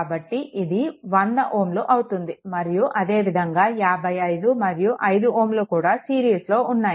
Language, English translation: Telugu, So, basically it is 100 ohm right and similarly 55 and 5 ohm both are in series